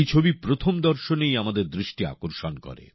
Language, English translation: Bengali, This picture catches our attention at the very first sight itself